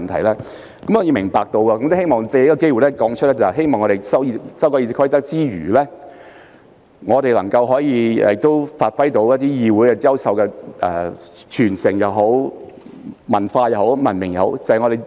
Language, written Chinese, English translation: Cantonese, 我理解這一點並希望藉此機會指出，在修改《議事規則》之餘，也希望能發揮議會優秀的傳承、文化及文明。, I understand this point and would like to highlight through this opportunity that in amending RoP it is also our wish to uphold the outstanding tradition culture and civility of our legislature